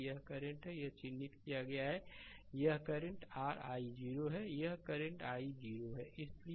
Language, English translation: Hindi, This current is here it is marked that this current is your i 0 here the current is i 0 right so, let me clear it